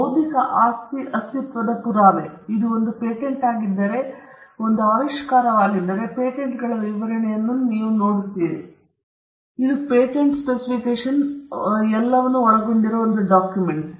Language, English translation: Kannada, Now so, the proof of the existence of intellectual property, if it is a patent, if it is an invention, then we would look at the patents specification the document that encompass it